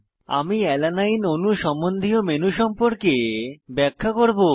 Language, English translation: Bengali, I will explain about contextual menu of Alanine molecule